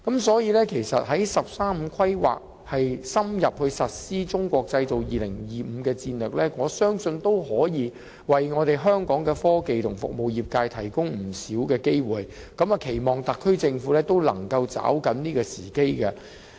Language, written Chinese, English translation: Cantonese, 所以，在"十三五"規劃深入實施"中國製造 2025" 戰略的情況下，我相信可為香港的科技和服務業界提供不少機會，期望特區政府能夠抓緊時機。, Therefore given the deepening of the implementation of the Made in China 2025 strategy under the 13 Five Year Plan I believe quite a large number of opportunities will be opened up for the technology and service industries of Hong Kong and I hope the SAR Government can seize these opportunities